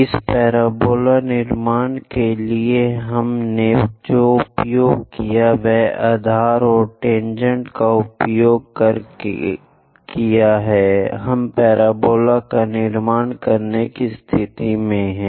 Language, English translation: Hindi, For this parabola construction, what we have used is, by using base and tangents, we are in a position to construct parabola